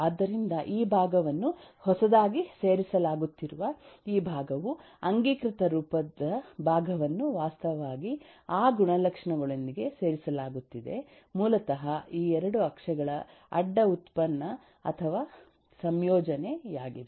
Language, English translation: Kannada, so this, this part, which is which is being added new, this part, the canonical form part, which is eh actually being added with those attribute, is basically eh, a cross product or combination of the these, these 2 axis